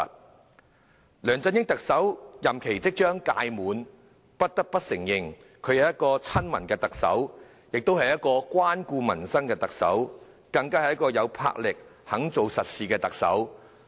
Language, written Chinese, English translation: Cantonese, 特首梁振英的任期即將屆滿，我們不得不承認，他是一個親民的特首，也是一個關顧民生的特首，更是一個有魄力、肯做實事的特首。, The term of Chief Executive LEUNG Chun - ying is already coming to an end . We must admit that he is a people - oriented Chief Executive with a heart for peoples livelihood . He is also a Chief Executive of action and enterprise